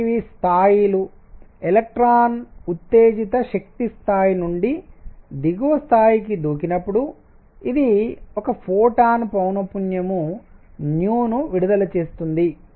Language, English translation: Telugu, So, these are the levels when an electron jumps from an excited energy level to lower one, it emits 1 photon of frequency nu